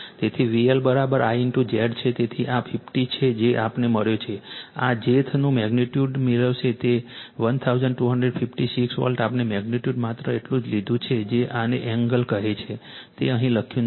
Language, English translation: Gujarati, So, V L is equal to I into your Z, so this is 40 is the current we have got into this jth you will get its magnitude it 12 your 1256 volt we have taken magnitude only that your what you call this an angle is not written here right